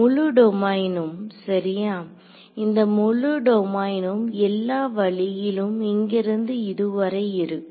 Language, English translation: Tamil, The entire domain right; so, this entire domain which is existing all the way from let us say here to here